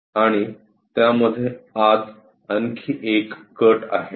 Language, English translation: Marathi, And there is one more cut inside of that